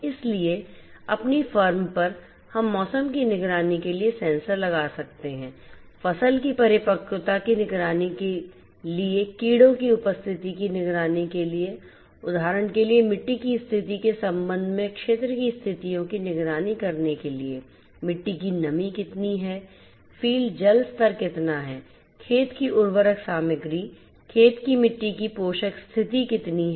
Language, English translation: Hindi, So, on the firm we can have sensors to monitor weather, to monitor the crop maturity, to monitor the presence of insects, to monitor the conditions of the field with respect to the soil conditions for example, how much soil moisture is there in the field, how much is the water level, how much is the fertilizer content of the field, the soil nutrient condition of the field